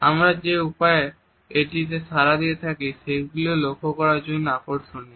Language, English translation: Bengali, The ways in which we respond to it are also very interesting to note